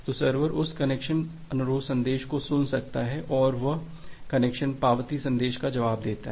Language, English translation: Hindi, So the server can listen that connection request message and it replies back with the connection acknowledgement message